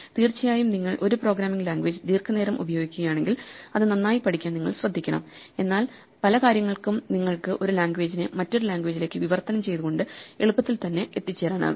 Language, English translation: Malayalam, Of course, if you use a programming language long enough, then you should be careful to learn it well, but for many things you can just get by on the fly by just translating one language to another